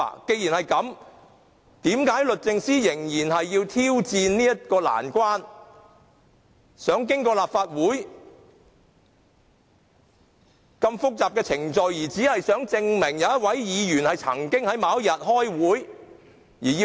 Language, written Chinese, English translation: Cantonese, 既然如此，為何律政司仍然要挑戰難關，想經過立法會複雜的程序索取有關的紀錄，而只是想證明一位議員曾經在某天開會呢？, As this is the case why does DoJ bother to take on the challenge of going through the complicated procedures of the Council so as to obtain the relevant records just for the sake of ascertaining the attendance of a Member in a meeting held on a particular date?